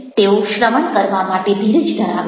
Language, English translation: Gujarati, patience: they have lots of patience to listen